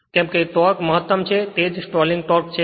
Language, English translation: Gujarati, Since the torque is maximum that is the stalling torque right